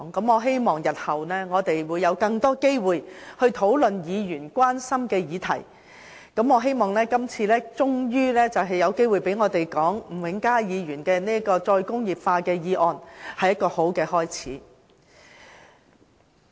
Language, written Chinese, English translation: Cantonese, 我希望日後會有更多機會討論議員關心的議題，而這次我們終於有機會就吳永嘉議員所提出有關"再工業化"的議案發言，是一個好的開始。, I hope that in future there will be more opportunities for us to discuss issues that Members are concerned about . Today we can finally speak on Mr Jimmy NGs motion on re - industrialization . I think it is a good start